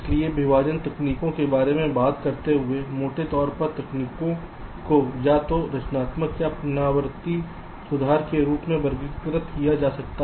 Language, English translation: Hindi, so, talking about the partitioning techniques, broadly, the techniques can be classified as either constructive or something called iterative improvement